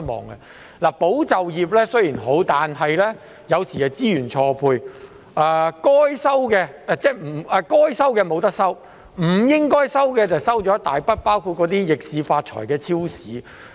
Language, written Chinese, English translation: Cantonese, 雖然"保就業"計劃是好，但有時候會出現資源錯配，應該收到補貼的未能收到，不應收到的卻收到一大筆補貼，包括那些逆市發財的超市。, While the Employment Support Scheme is good sometimes there is a mismatch of resources whereby those who ought to receive subsidies are unable to receive them while those who ought not to receive any subsidies have received a huge sum including those supermarkets which have made a fortune under adverse economic circumstances